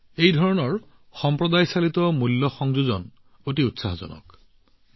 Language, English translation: Assamese, This type of Community Driven Value addition is very exciting